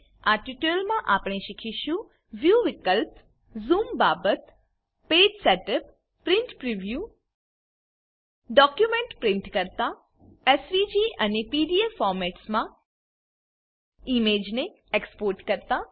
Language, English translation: Gujarati, In this tutorial we will learn View options Zoom factor Page setup Print Preview Print a document Export an image as SVG and PDF formats